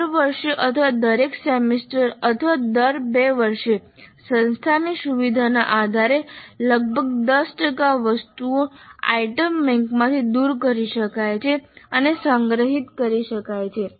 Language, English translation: Gujarati, Every year or every semester or every two years depending upon the convenience of the institute, about 10% of the items can be archived, removed from the item bank and archived